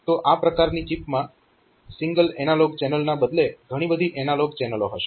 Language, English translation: Gujarati, So, that chip instead of having a single analog channel